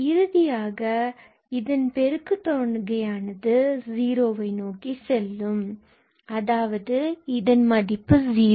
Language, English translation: Tamil, So, ultimately the product will go to 0 and this is anyway 0